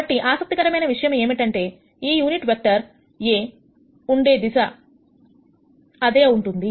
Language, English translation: Telugu, So, the interesting thing is that, this unit vector is in the same direction as a; however, it has magnitude 1